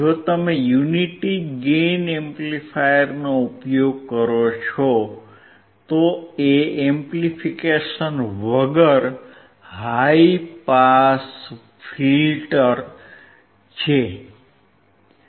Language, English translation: Gujarati, If you use unity gain amplifier, then it is high pass filter without amplification